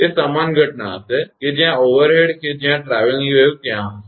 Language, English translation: Gujarati, It will be the same phenomena that overhead that there will be traveling wave